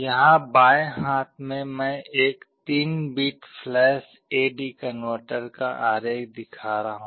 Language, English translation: Hindi, Here on the left hand side I am showing the diagram of a 3 bit flash A/D converter